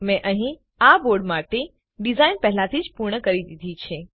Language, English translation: Gujarati, I have already completed the design for this board here